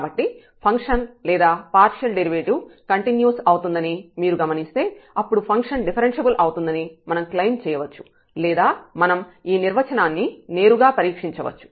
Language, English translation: Telugu, So, if you observe that the function is or the partial derivative is continuous, then we can claim that the function is differentiable